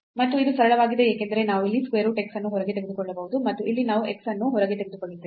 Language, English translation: Kannada, And, this is simple because we can take here square root x out and here we will take x out